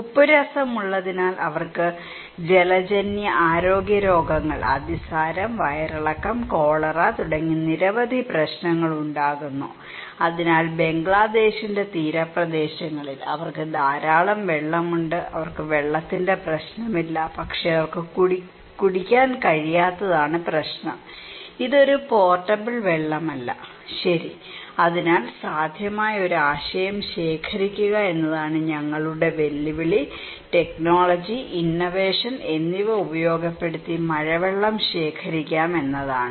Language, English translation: Malayalam, Because they are salty, they get waterborne health diseases, dysentery, diarrhoea, cholera and many other problems so, they have plenty of water in the coastal areas of Bangladesh, they do not have any problem of water but problem is that they cannot drink, it is not a portable water, okay and so our challenge one way is to collect one possible potential idea, technology, innovation is that we can collect rainwater